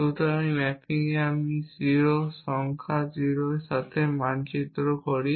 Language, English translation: Bengali, So, this is the mapping I maps to 0, the number 0